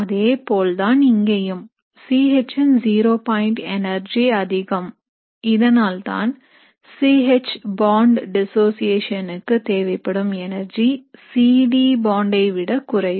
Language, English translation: Tamil, The same thing here, the C H zero point energy is higher, which is why the energy required for dissociation of the C H bond is less than the C D bond